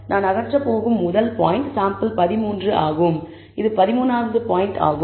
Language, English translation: Tamil, The first point that I am going to remove is sample 13 that is the 13th point, because it is the farthest in the plot